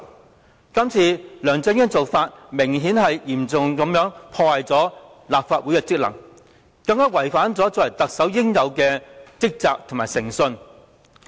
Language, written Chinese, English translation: Cantonese, 梁振英今次的做法，顯然嚴重破壞了立法會的職能，更違反了作為特首應有的職責及誠信。, The action presently undertaken by LEUNG Chun - ying has apparently seriously undermined the functions of the Legislative Council as well as compromised his duties and integrity as the Chief Executive